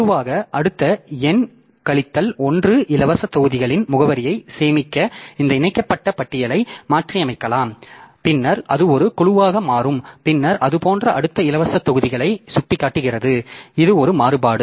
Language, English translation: Tamil, Grouping so we can modify this linked list to store the address of the next n minus one free blocks and then that becomes one group and then that points to the next group of free blocks like that